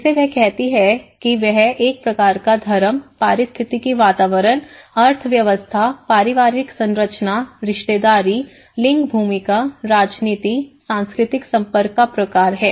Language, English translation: Hindi, Which she calls it is a kind of matrix of religion, ecological environment, economy, family structure, kinship, gender roles, politics, cultural interaction